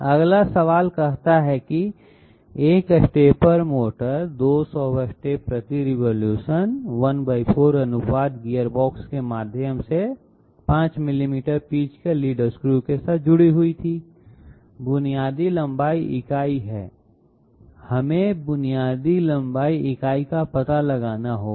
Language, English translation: Hindi, Next Question says, a stepper motor of 200 steps per revolution okay was connected via a 1 4th ratio gearbox to a lead screw of 5 millimeters pitch, the basic length unit is, we have to find out the basic length unit